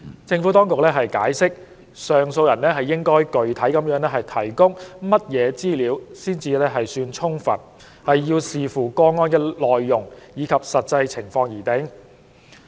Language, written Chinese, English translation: Cantonese, 政府當局解釋，上訴人應具體地提供甚麼資料才算充分，要視乎個案的內容及實際情況而定。, The Administration has explained that what information the appellant should provide specifically to be deemed sufficient is subject to the content of the case and the actual circumstances